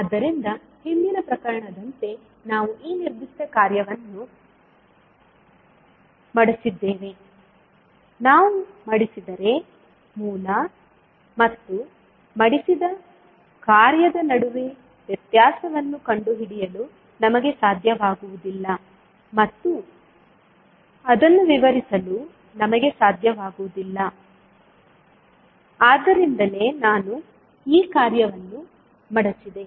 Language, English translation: Kannada, So like in the previous case what we did that we folded this particular function, if we fold we will not be able to differentiate between original and the folded function and we will not be able to explain it so that is why I folded this function